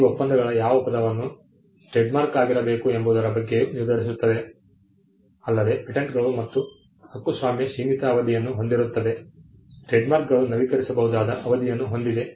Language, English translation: Kannada, These treaties also decided on the term what the term should be trademark unlike copyright and patents which have a limited term, trademarks have an renewable term